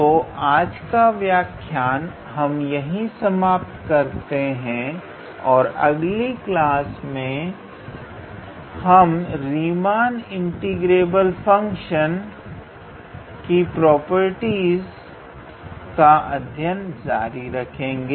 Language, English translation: Hindi, And in the next class we will again continue with the properties of Riemann integrable function